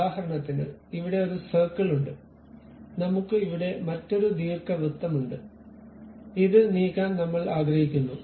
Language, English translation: Malayalam, For example, I have one circle here, I have another ellipse here and I would like to move this one